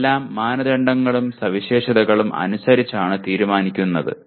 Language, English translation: Malayalam, these are all decided by the criteria and specifications